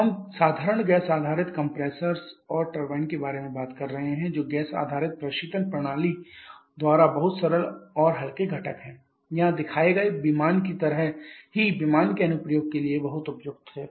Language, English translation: Hindi, We are talking about simple gas based compressors and turbines which are much simple and lightweight components there by this gas type based refrigeration system is very suitable for aircraft application just like the one shown here